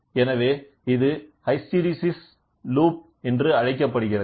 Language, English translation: Tamil, So, this is called as hysteresis loop